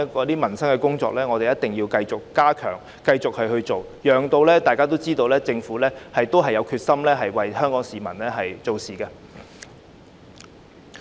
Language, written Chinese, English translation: Cantonese, 司長，我認為一定要繼續加強處理民生工作，讓大家知道政府仍然有決心為香港市民做事。, Chief Secretary I think the Government must continue to step up efforts at taking forward work relating to the peoples livelihood so as to demonstrate to the public that it remains resolute in serving the public in Hong Kong